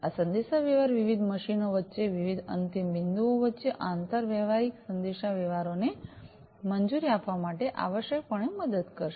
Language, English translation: Gujarati, So, this communication will essentially help in allowing interoperable communication between different endpoints, between different machines, etcetera